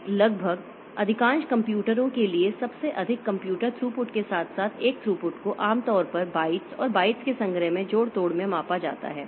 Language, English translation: Hindi, Then almost along the most computer throughput is generally for the most of the computers, if throughput is generally measured and manipulated in bytes and collections of bytes